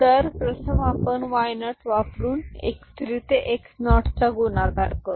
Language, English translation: Marathi, So, first we are multiplying y x3 to x naught using y naught